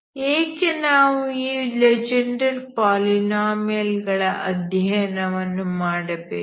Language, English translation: Kannada, Why do we study this Legendre polynomials